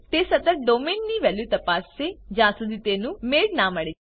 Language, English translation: Gujarati, It will continue checking the value of domain if no match was found so far